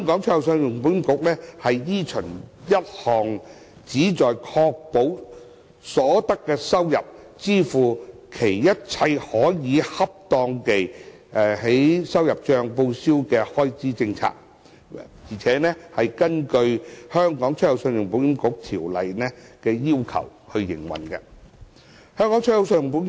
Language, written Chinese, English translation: Cantonese, 信保局依循一項旨在確保所得收入足以支付其一切可恰當地在收入帳報銷的開支政策，並根據《條例》的要求營運。, ECIC is required to operate in accordance with the requirements laid down in the Ordinance and to pursue a policy directed towards securing revenue sufficient to meet all expenditure properly chargeable to its revenue account